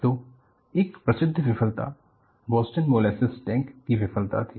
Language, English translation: Hindi, So, one famous failure was Boston molasses tank failure